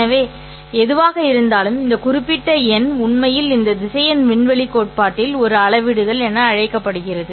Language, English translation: Tamil, So, for whatever it is, this particular number is actually called as a scalar in this vector space theory